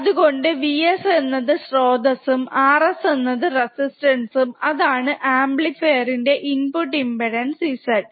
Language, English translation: Malayalam, So, V s is the source or resistance is Rs, this is the input impedance of the amplifier Z in